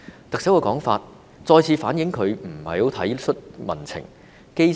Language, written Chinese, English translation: Cantonese, 特首的說法，再次反映她不太體恤民情。, This remark of the Chief Executive again shows that she does not have much compassion for public sentiments